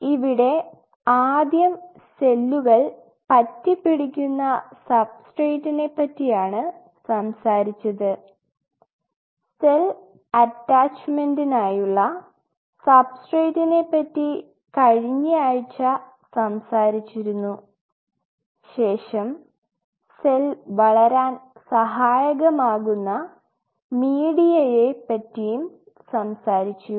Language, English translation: Malayalam, So, we talked about first is a substrate where the cell will adhere and we have extensively talked last week about its substrate for cell attachment, then we talk about the medium supporting cell growth of course, I mentioning it, so this is the cell